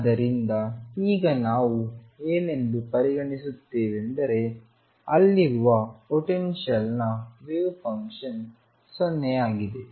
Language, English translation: Kannada, So, what we are considering is suppose there is a potential given the wave function is 0 far away